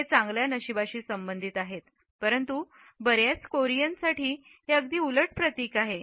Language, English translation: Marathi, It is associated with good luck, but for many Koreans it symbolizes just the opposite